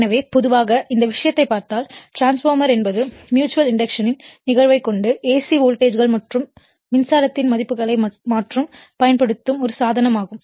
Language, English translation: Tamil, So, generally if you look at the this thing a transformer is a device which uses the phenomenon of mutual induction to change the values of alternating voltages and current right